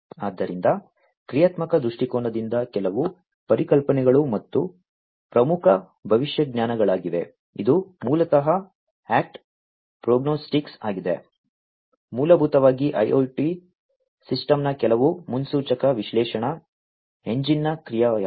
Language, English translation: Kannada, So, from a functional viewpoint few concepts are important prognostics, which is basically the act prognostics, basically is the action of some predictive analytics engine of the IIoT system